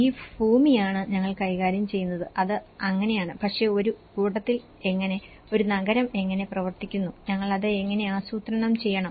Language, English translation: Malayalam, this parcel of land we are dealing with this and that’s it so but how about in a collectively, how a city is working, how we have to plan with it